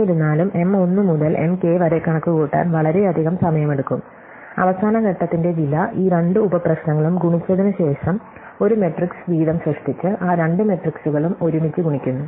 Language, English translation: Malayalam, However, it much takes to compute M 1 to M k; however, much it takes to compute M k plus 1 to M n plus the cost of the last step which is to multiply these two sub problems after that produce one matrix each to multiply those two matrices together